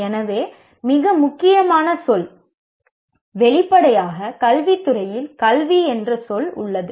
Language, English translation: Tamil, So the most important word obviously in education field is the word education itself